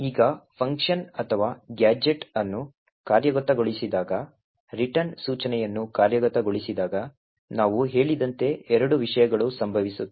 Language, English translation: Kannada, Now when the function or the gadget being executed executes the return instruction as we have said there are two things that would happen